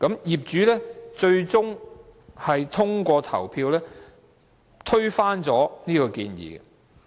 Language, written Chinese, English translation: Cantonese, 業主最終通過投票，推翻了這項建議。, The proposal was eventually voted down by owners